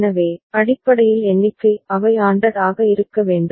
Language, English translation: Tamil, So, basically the number of they need to be ANDed